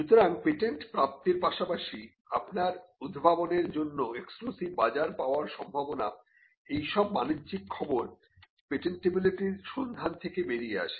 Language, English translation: Bengali, So, the chances of obtaining a patent as well as the chances of getting an exclusive marketplace for your invention will be the commercial reasons that will come out of a patentability search